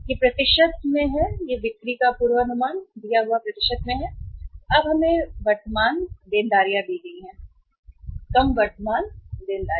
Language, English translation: Hindi, This is in the percentage of the forecast of sales and now we are given the current liabilities